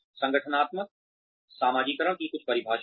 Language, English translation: Hindi, Some definitions of organizational socialization